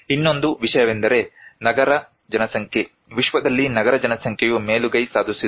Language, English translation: Kannada, One more thing is that urban population; urban population in the world is dominating